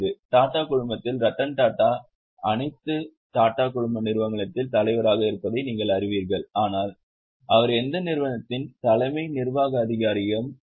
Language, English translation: Tamil, In Tata Group, you know Rattan Tata is chairman of all Tata group companies but is not CEO of any company